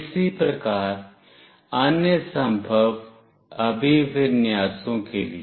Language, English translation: Hindi, Similarly, for the other possible orientations